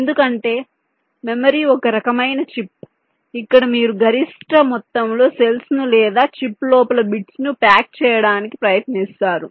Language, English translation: Telugu, because memory is, ah, one kind of a chip where you try to pack maximum amount of cells or bits inside a chip